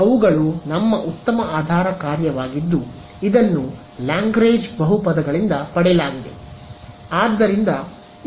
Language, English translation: Kannada, So, those were our very nice basis function which was derived from the Lagrange polynomials ok